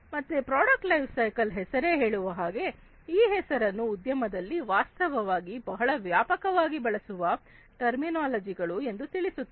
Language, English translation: Kannada, So, product lifecycle management as this name suggests, this term suggests it is actually a widely used terminologies in the industry